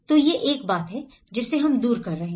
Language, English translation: Hindi, So this is one thing, which we have taking away